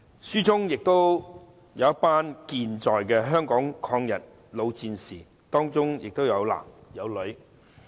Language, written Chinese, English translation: Cantonese, 書中記述的還有一群健在的香港抗日老戰士，當中有男亦有女。, Also recorded in the book are the experiences of a group of living veterans male and female of the anti - Japanese war in Hong Kong